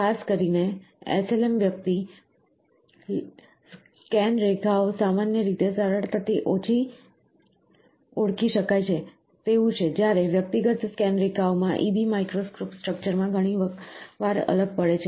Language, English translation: Gujarati, In particular, SLM the individual laser scan lines are typically easily distinguishable whereas, in individual scan lines are often indistinguishable in EB micro structuring